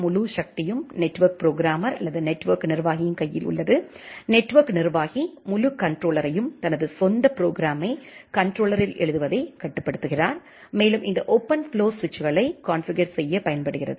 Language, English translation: Tamil, The entire power is in the hand of network programmer or the network administrator, the network administrator controls the entire controller write down his or her own program in the controller and this OpenFlow helps configuring the switches